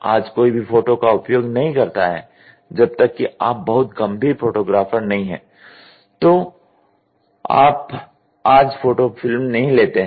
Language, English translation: Hindi, Today nobody uses photo unless you are a very serious photographer you do not take photo films at all today